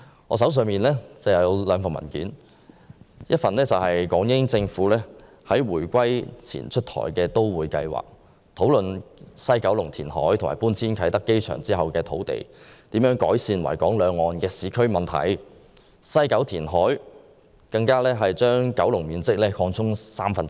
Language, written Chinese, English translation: Cantonese, 我手上有兩份文件，一份是關於港英政府在回歸前出台的都會計劃，討論西九龍填海和搬遷啟德機場後所獲得的土地可如何改善維港兩岸的市區問題，並表示西九龍填海會將九龍面積擴充三分之一。, I have two papers in hand . One paper is about the Metroplan launched by the British Hong Kong Government before the reunification . It discussed how the land obtained from the West Kowloon Reclamation works and the relocation of Kai Tak Airport could be used to improve the urban problems on both sides of Victoria Harbour